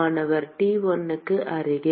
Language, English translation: Tamil, Closer to T1, right